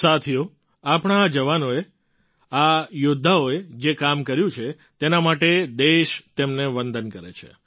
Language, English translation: Gujarati, Friends, the nation salutes these soldiers of ours, these warriors of ours for the work that they have done